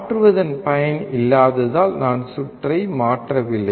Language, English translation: Tamil, I have not changed the circuit because there is no use of changing